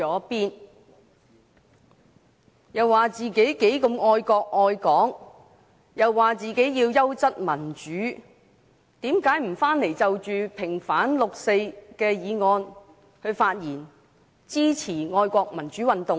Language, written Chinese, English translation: Cantonese, 他們聲稱自己愛國愛港和追求優質民主，為何他們不回來就平反六四的議案發言，支持愛國民主運動呢？, As they have claimed that they love the country and Hong Kong and pursue quality democracy why did they not return to the Chamber to speak on the motion on vindication of the 4 June incident and support the patriotic pro - democracy movement?